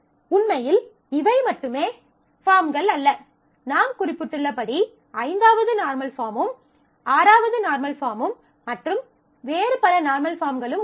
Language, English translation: Tamil, So, as I mentioned there are actually these are not the only forms, there are various other normal forms as well and fifth normal form, 6 normal form and so on, but it is very rarely these are very rarely used